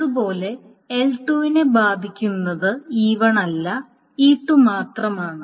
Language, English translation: Malayalam, And similarly, L2 concerns itself with only E2 and not E1